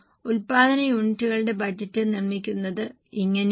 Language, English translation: Malayalam, This is how production units budget is produced